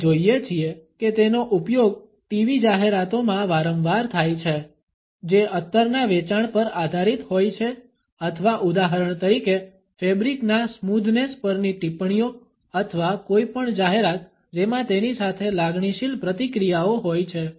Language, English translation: Gujarati, We find it often used in TV advertisements which are based on the sales of perfumes or comments on the smoothness of fabric for example or any advertisement which has emotional reactions associated with it